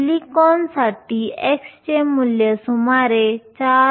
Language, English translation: Marathi, For silicon chi has a value of around 4